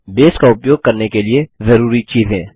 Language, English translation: Hindi, Prerequisites for using Base What can you do with Base